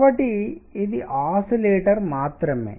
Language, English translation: Telugu, So, this is only the oscillator